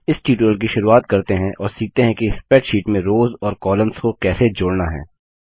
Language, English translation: Hindi, So let us start our tutorial by learning how to insert rows and columns in a spreadsheet